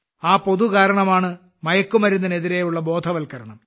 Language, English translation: Malayalam, And this common cause is the awareness campaign against drugs